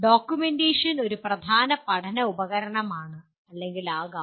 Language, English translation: Malayalam, Documentation itself is a/can be a major learning tool